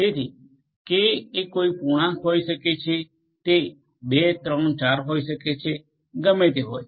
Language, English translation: Gujarati, So, K can be any integer it could be 2, 3, 4, whatever